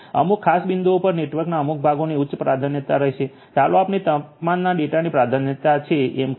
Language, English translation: Gujarati, In certain the certain parts of the network at certain points will have higher priority let us say to the temperature data